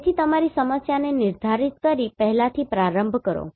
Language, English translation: Gujarati, So start from first by defining your problem